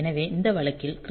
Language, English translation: Tamil, So, in this case if the crystal is 11